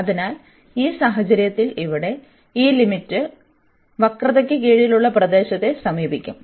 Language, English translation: Malayalam, So, in that case this limit here will approach to the area under the curve